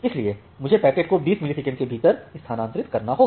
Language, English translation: Hindi, So, I have to transfer the packet within 20 millisecond